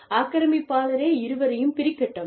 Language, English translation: Tamil, Let the aggressor, you know, separate the two